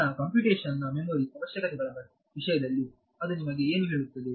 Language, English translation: Kannada, So, what does that tell you in terms of the memory requirements of my computation